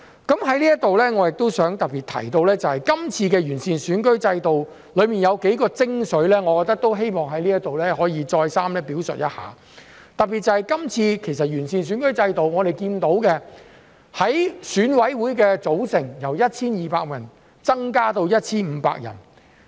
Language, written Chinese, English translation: Cantonese, 在這裏我亦想特別提到，這次完善選舉制度中有幾個精髓，我希望在這裏可以再三表述一下，特別是這次完善選舉制度，我們看到選舉委員會的組成由 1,200 人增至 1,500 人。, I would like to especially mention the several quintessences of the improvement of the electoral system which I wish to repeat here . In particular as regards the improvement in the electoral system we are aware that the composition of the Election Committee EC has been increased from 1 200 to 1 500 members